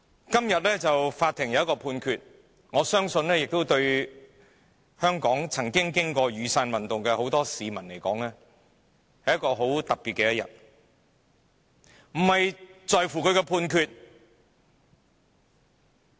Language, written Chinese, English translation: Cantonese, 今天法院作出了一項判決，我相信對曾經歷雨傘運動的眾多香港市民而言，這是很特別的一天，但我們在乎的並非判決。, Today the Court handed down a Judgment . I believe this is a very special day to many people of Hong Kong who have experienced the Umbrella Movement . Yet the Judgment is not our concern